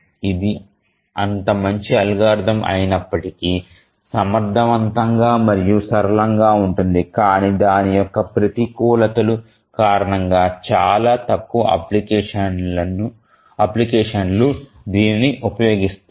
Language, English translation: Telugu, If it is such a good algorithm, it is efficient, simple, why is it that none of the applications, I mean very few applications use it